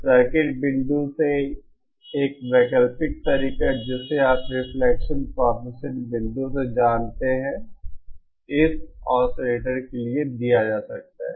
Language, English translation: Hindi, An alternate way from the circuit point of view you know the from the reflection coefficient point of view can also be given for this oscillator